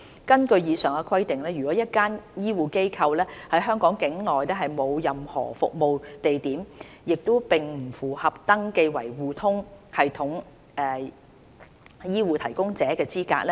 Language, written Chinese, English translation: Cantonese, 根據以上規定，如果一間醫護機構在香港境內沒有任何服務地點，它並不符合登記為互通系統醫護提供者的資格。, According to the above requirements if a medical institution does not have any service locations in Hong Kong it is not eligible for registration as an HCP under eHRSS